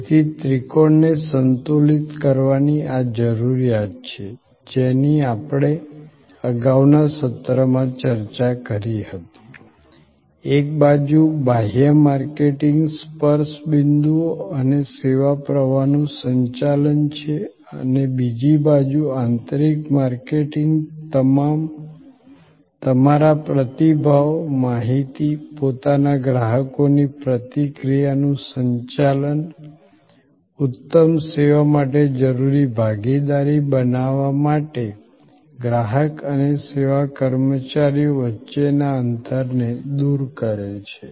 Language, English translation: Gujarati, So, this need of balancing the triangle which we had discussed in a previous session, on one side external marketing managing the touch points and the service flow and on the other side internal marketing managing the flow of feedback, information, customer reaction continuously to your own people, bridge the gap between the consumer and the service employees to create the partnership which is essential for excellent service